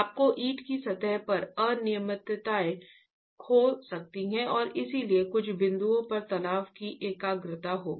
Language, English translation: Hindi, You can have irregularities on the brick surface and therefore there will be concentration of stresses in some points and smaller level of stresses in other points